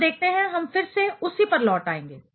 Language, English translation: Hindi, Let us look at, we will come back to that again